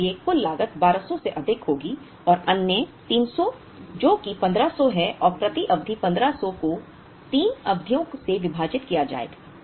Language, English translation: Hindi, So, total cost will be 1200 plus another 300 which is 1500 and the per period will be 1500 divided by 3 periods which would give us 500